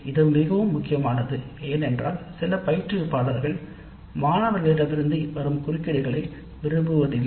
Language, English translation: Tamil, This again very important because some of the instructors do dislike interruptions from the students